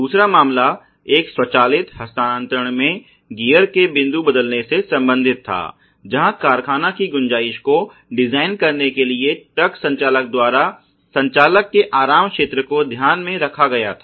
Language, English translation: Hindi, The other case was related to the shifting of the point of gear changing in an automatic transmission, where the comfort zone of the operator the truck driver was taken in to account for designing the factory tolerance